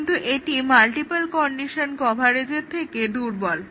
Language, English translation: Bengali, But, it is weaker than the multiple condition coverage